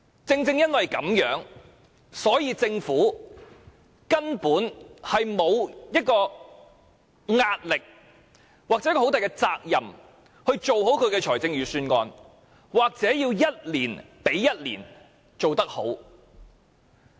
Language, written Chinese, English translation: Cantonese, 正因如此，政府根本沒有壓力要負責任做好預算案，也無須一年比一年做得好。, Precisely because of this the Government is not under any pressure to prepare a good budget responsibly or is it obliged to do a better job than that of the previous year